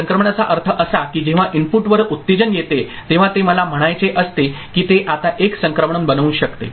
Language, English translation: Marathi, Transition means when the excitation comes at the input, it is supposed to make I mean, it is now can make a transition